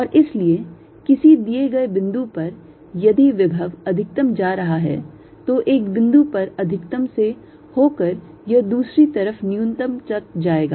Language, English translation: Hindi, right, and therefore at a given point, if the potential is going to a maxim through a maximum at one point, it will go through a minimum on the other side